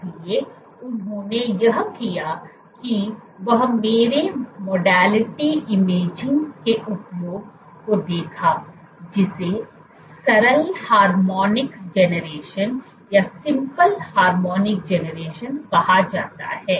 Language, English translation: Hindi, So, what they did was they looked the use of imaging my modality called simple harmonic generation